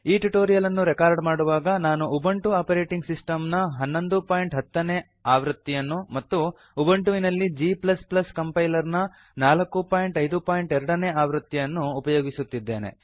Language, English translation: Kannada, To record this tutorial, I am using Ubuntu operating system version 11.10 and G++ Compiler version 4.5.2 on Ubuntu